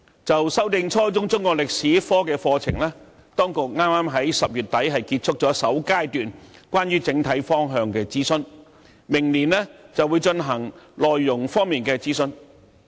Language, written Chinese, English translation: Cantonese, 關於修訂初中中國歷史科課程，當局剛於10月底結束首階段的整體方向諮詢，明年再進行內容方面的諮詢。, In relation to revising the Chinese History curriculum at junior secondary level the authorities have just completed the first stage of consultation on the overall direction in late October and next year they will conduct further consultation on the content